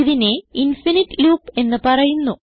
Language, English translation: Malayalam, It is known as infinite loop